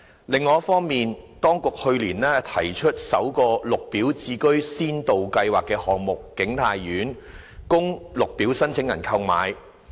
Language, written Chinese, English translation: Cantonese, 另一方面，當局去年推出首個綠表置居先導計劃項目景泰苑，供綠表申請人購買。, On the other hand the authorities launched last year the first Green Form Subsidised Home Ownership Pilot Scheme project King Tai Court for purchase by Green Form applicants